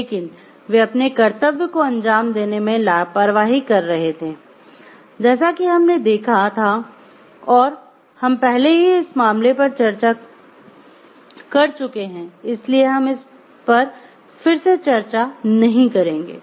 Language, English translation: Hindi, But they were negligent in carrying a carrying out their duty, so what we find like as we have already discussed this case I am not going to discuss it again